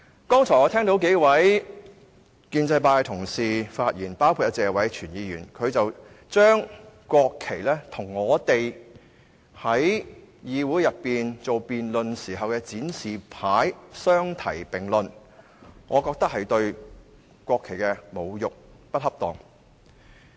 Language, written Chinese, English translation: Cantonese, 剛才我聽到幾位建制派的議員同事發言，當中謝偉銓議員把國旗和我們在議會內辯論時展示的標語牌相提並論，我認為這是對國旗的侮辱，是不恰當的。, Just now I listened to the speeches of several colleagues from the pro - establishment camp in which Mr Tony TSE equated the national flag with the placards displayed by us in the Councils debate sessions . I hold that this is desecration of the national flag which is inappropriate